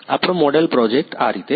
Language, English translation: Gujarati, This is how our model project is